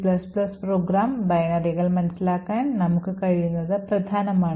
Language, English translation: Malayalam, It is important for us to be able to understand C and C++ program binaries